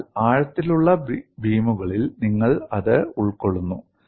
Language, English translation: Malayalam, So, in deep beams, you accommodate that